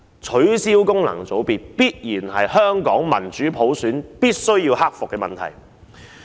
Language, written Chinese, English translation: Cantonese, 取消功能界別是香港進行民主普選必須克服的問題。, The abolition of FCs is a problem that must be solved before democratic election by universal suffrage can be implemented in Hong Kong